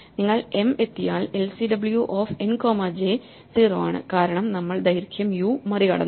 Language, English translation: Malayalam, We have that if you reach m then lcw of n comma j 0 is 0 because we have gone past the length u